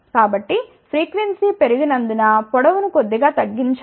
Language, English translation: Telugu, So, since frequency has increase length has to be reduced slightly ok